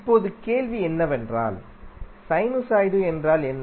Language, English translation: Tamil, Now the question would be like what is sinusoid